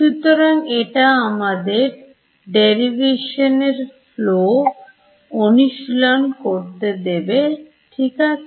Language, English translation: Bengali, So, it will just give us practice in this flow of derivations ok